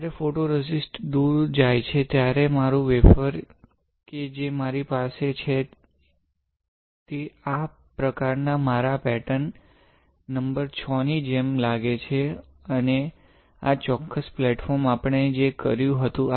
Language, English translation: Gujarati, When photoresist gets stripped off, my wafer that I have a pattern like this, looks similar to my pattern number VI and this particular platform, right